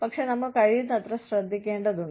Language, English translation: Malayalam, But, we need to be, as careful as, possible